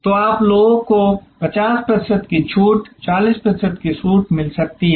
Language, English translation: Hindi, So, people you may get 50 percent discount 40 percent discount